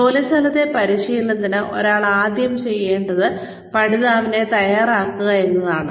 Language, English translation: Malayalam, For on the job training, the first thing that one needs to do is, prepare the learner